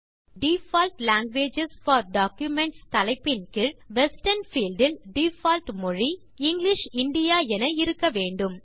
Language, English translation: Tamil, Now under the heading Default languages for documents, the default language set in the Western field is English India